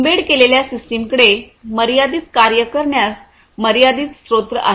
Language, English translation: Marathi, Embedded systems have limited resources for per performing limited number of tasks